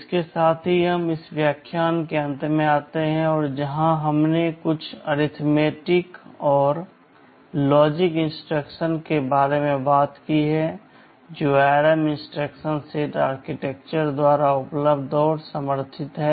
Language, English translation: Hindi, With this we come to the end of this lecture where we have talked about some of the arithmetic and logical instructions that are available and supported by the ARM instruction set architecture